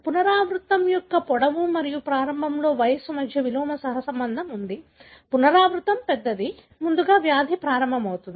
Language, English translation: Telugu, There is an inverse correlation between the length of the repeat and the age at onset; larger the repeat, earlier would be the onset of the disease